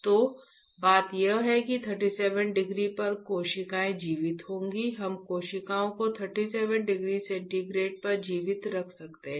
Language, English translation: Hindi, So, the point is that at 37 degree the cells would be alive, we can keep the cells alive at 37 degree centigrade